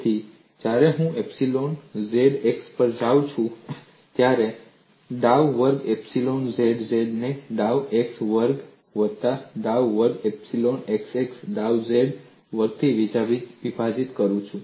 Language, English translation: Gujarati, So, when I go to epsilon zx, I have dou squared epsilon zz divided by dou x squared plus dou squared epsilon xx divided by dou z squared and these are the conditions relating strain components